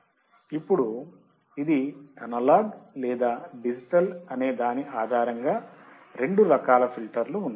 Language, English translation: Telugu, Now, there are two types of filter based on whether it is analog or whether it is digital